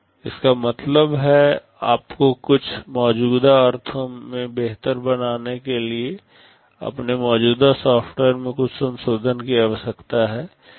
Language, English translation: Hindi, That means, you need some modifications to your existing software to make it better in some sense